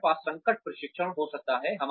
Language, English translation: Hindi, We can have crisis training